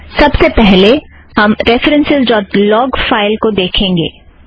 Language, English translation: Hindi, As we can see in the references.log file